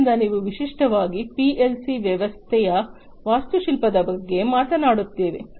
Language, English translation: Kannada, So, we will talk about the architecture of a typical PLC system